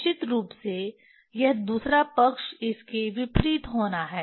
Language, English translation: Hindi, Definitely this other side it has to be opposite